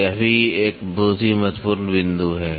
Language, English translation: Hindi, So, this is also a very very important point